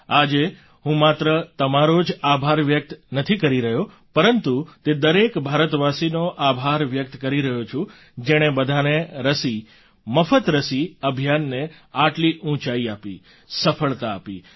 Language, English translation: Gujarati, Today, I am gratefully expressing thanks, not just to you but to every Bharatvasi, every Indian who raised the 'Sabko vaccine Muft vaccine' campaign to such lofty heights of success